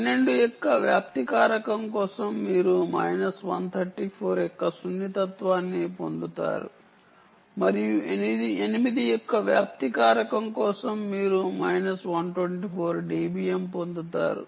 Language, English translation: Telugu, for example, for spreading factor of twelve, you get sensitivity of minus one thirty four, and for a spreading factor of eight you get minus one twenty four d b m